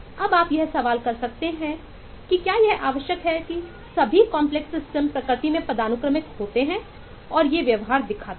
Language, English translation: Hindi, is it necessary that all complex systems be hierarchic in nature and show these behavior